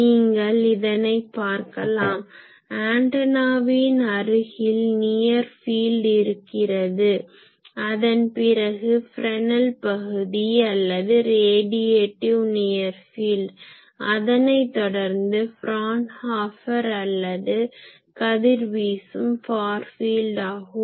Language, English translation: Tamil, So, you see near the antenna there is near field, after that there is region which is Fresnel region or radiative near field and further away is the Fraunhofer region or radiating far field